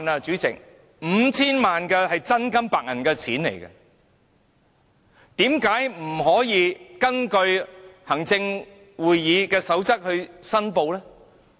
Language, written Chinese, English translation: Cantonese, 主席 ，5,000 萬元是真金白銀，為何特首不根據行政會議守則申報？, President 50 million is real cash . Why didnt the Chief Executive make declaration in accordance with the Executive Councils guidelines?